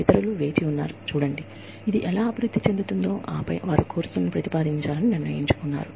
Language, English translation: Telugu, Others, waited to see, how this would develop, and then, they decided to propose courses